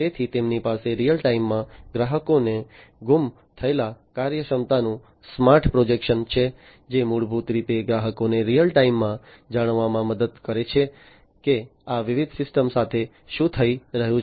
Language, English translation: Gujarati, So, they have smart projection of missing functionalities to customers in real time, which basically helps the customers to know in real time, what is happening with these different systems